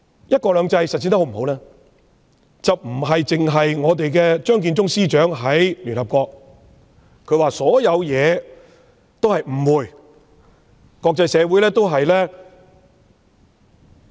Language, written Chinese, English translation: Cantonese, "一國兩制"實踐的成效如何，不能單憑張建宗司長在聯合國所說的一兩句說話。, The effectiveness of the implementation of one country two systems cannot be solely determined by a few remarks made by Chief Secretary Matthew CHEUNG at the United Nations